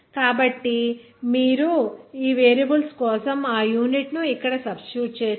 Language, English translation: Telugu, So if you substitute that unit here for these variables